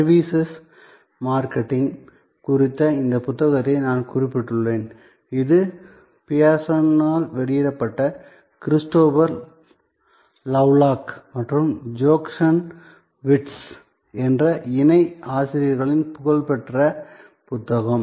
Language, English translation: Tamil, I referred to this book on Services Marketing, it is a famous book by Christopher Lovelock and Jochen Wirtz my co authors, published by Pearson